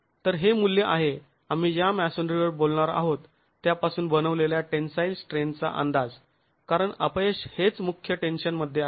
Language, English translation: Marathi, So, this is the sort of value, an estimate of the tensile strength of masonry that we are talking of because the failure is in the principal tension itself